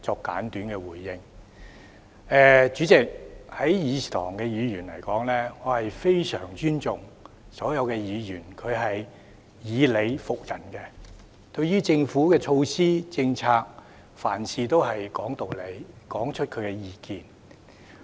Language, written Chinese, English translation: Cantonese, 代理主席，在議事堂內，我非常尊重所有以理服人的議員；他們對於政府的措施及政策，凡事都是講道理，說出自己的意見。, Deputy Chairman in this Chamber I show great respect to all those Members who convince with reason . They always articulate their views on the Governments measures and policies from the perspective of reason